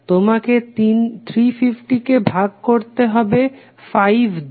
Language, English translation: Bengali, You have to simply divide 350 by 5 ohm